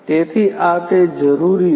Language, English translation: Gujarati, So, this is what is required